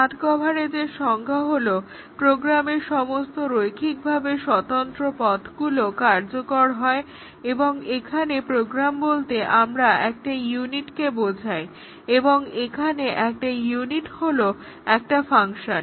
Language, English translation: Bengali, The definition of path coverage is that all linearly independent paths in the program are executed and by program we mean a unit and a unit is a function here